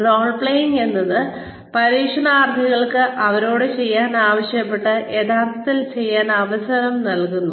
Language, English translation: Malayalam, Role playing is, the trainees are given a chance to actually do, what they have been asked to do